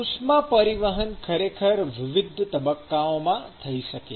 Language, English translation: Gujarati, So, heat transport can actually occur in different phases